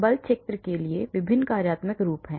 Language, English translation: Hindi, There are different functional forms for forcefield